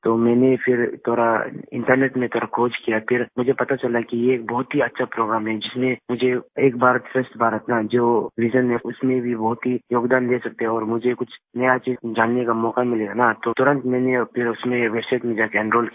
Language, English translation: Hindi, I again searched a little on the internet, and I came to know that this is a very good program, which could enable one to contribute a lot in the vision of Ek Bharat Shreshtha Bharat and I will get a chance to learn something new